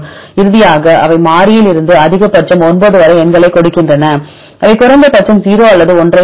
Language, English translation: Tamil, Finally, they give the numbers right from the variable to the conserve maximum 9, they give and the minimum they give 0 or 1